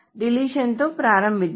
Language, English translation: Telugu, So let us start with deletion